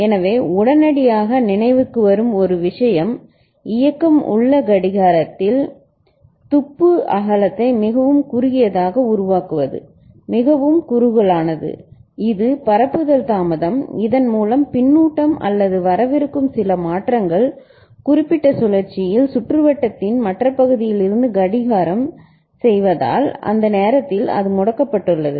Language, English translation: Tamil, So, one thing that immediately comes to mind is to make the clock pulse width, during which it remains enabled, very narrow ok so narrow that it is of the order of the propagation delay and by which the feedback or some changes that is coming from other part of the circuit because of clocking in that particular cycle so, by that time it comes it has become disabled